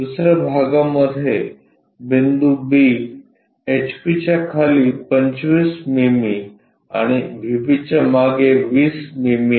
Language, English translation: Marathi, Let us move on to the second part at the second part point B 25 mm below HP and 20 mm behind VP